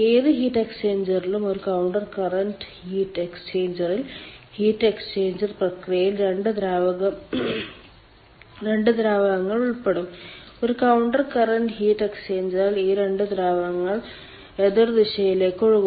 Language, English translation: Malayalam, in any heat exchanger there will be two fluids involved for the heat exchange process, and in counter current heat exchanger these two fluids are flowing in opposite direction